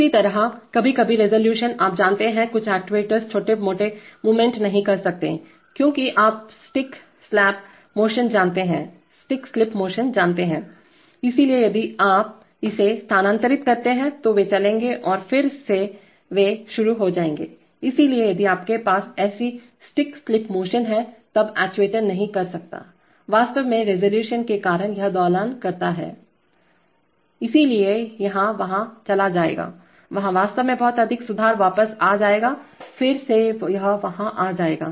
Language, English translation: Hindi, Similarly the sometimes resolution, you know, some actuators cannot make small movements either because of you know stick slip motion, so if you they move it they will move and then they will again get started, so for such, if you have such stick slip motions then the then the actuator cannot, actually because of resolution it keeps oscillating, so it will move there, there will, that is actually too much correction will come back, again it will move there